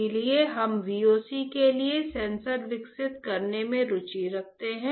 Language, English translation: Hindi, So, we are interested in developing sensors for VOC alright